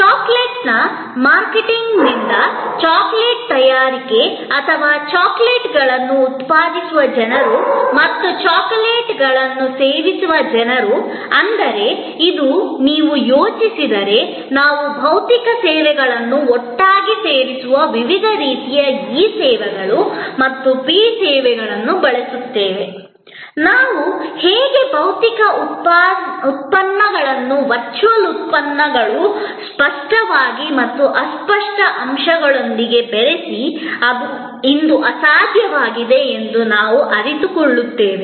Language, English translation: Kannada, The manufacturing of the chocolate from the marketing of the chocolate or the people who produce chocolates and people who consume chocolates, but if you think through the way today we use various kinds of e services and p services that physical services together, how we inter mix physical products with virtual products, tangible and intangible elements, we will able to realize that it has become almost impossible today